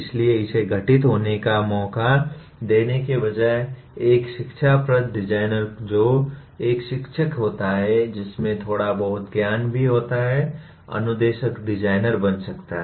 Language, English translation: Hindi, So instead of leaving it to chance occurrence, instructional designer who a teacher also with a little bit of knowledge can become a instructional designer